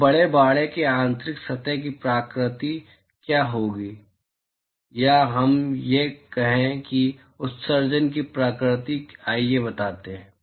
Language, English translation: Hindi, Now, what will be the nature of the inside surface of the large enclosure or let us say nature of emission let us say